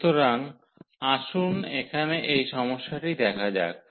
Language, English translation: Bengali, So, let us go through the problem here